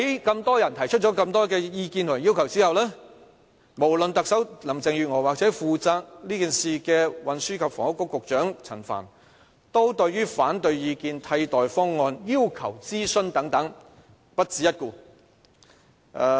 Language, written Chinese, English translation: Cantonese, 眾多人提出了眾多意見及要求之後，無論特首林鄭月娥或是負責這件事的運輸及房屋局局長陳帆，對於反對意見、替代方案、要求諮詢等均不屑一顧。, Many people have raised a lot of views and requests but Chief Executive Carrie LAM and Secretary for Transport and Housing Frank CHAN the official in charge of this project do not care to pay the slightest attention to the opposing views alternative proposals and requests for consultation